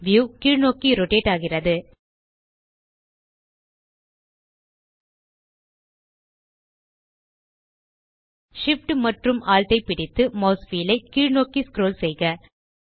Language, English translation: Tamil, The view rotates up and down Hold Shift, Alt and scroll the mouse wheel upwards